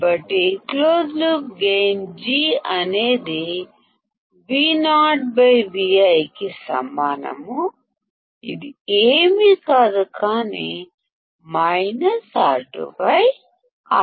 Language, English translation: Telugu, So, close loop gain G equals to Vo by Vi which is nothing, but minus R2 by R1